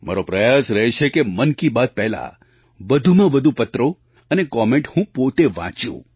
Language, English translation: Gujarati, My effort is that I read the maximum number of these letters and comments myself before Mann Ki Baat